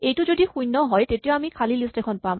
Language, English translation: Assamese, If it is 0, then I have an empty list